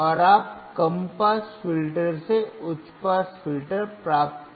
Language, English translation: Hindi, And you can get high pass filter from low pass filter